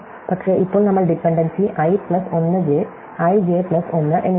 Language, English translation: Malayalam, But, now we are also dependency i plus 1 j and i j plus 1